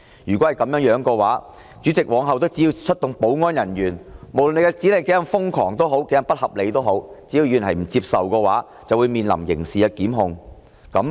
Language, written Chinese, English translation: Cantonese, 如果是這樣的話，梁君彥主席往後只要出動保安人員，無論指令是多麼瘋狂、不合理，議員若不接受，就會面臨刑事檢控。, If that becomes the case President Mr Andrew LEUNG will be able to enforce his orders through security officers no matter how crazy and unreasonable they may be . If Members refuse to comply they would face criminal prosecution